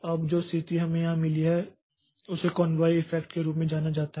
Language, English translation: Hindi, Now, the situation that we have got here so this is known as convoy effect